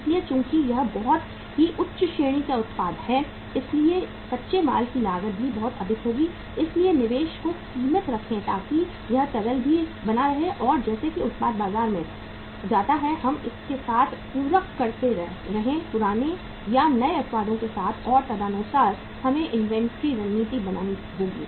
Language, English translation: Hindi, So since it is a very high end product so the cost of the raw material will also be very high so keep the investment limited so that it keeps on liquidating also and as the product keeps on going to the market we keep on supplementing it with the old or with the new products and accordingly we will have to have the inventory strategy